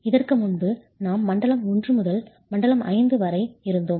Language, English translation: Tamil, Earlier we had zone 1 to zone 5